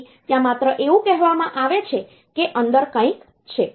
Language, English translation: Gujarati, So, it is just an it is just said there is something like that is there inside